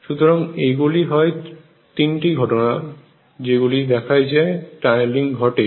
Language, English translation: Bengali, And this is known as the phenomena of tunneling